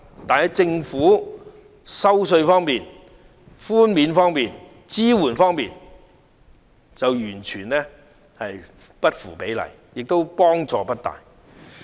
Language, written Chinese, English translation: Cantonese, 但是，政府在稅收寬免方面完全不符比例，對中產人士亦都幫助不大。, However the Government is offering completely disproportionate tax concessions to the public giving only minimal help to the middle class